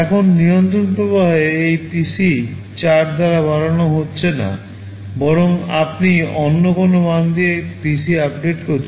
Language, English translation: Bengali, Now in control flow, this PC is not being incremented by 4, but rather you are updating PC with some other value